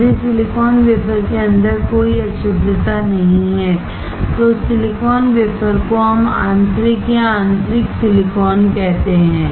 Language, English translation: Hindi, If there is no impurity inside the silicon wafer, that silicon wafer we call as an intrinsic or intrinsic silicon